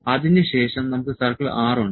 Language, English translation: Malayalam, So, then we have circle 6